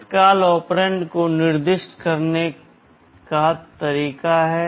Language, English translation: Hindi, There are ways of specifying immediate operands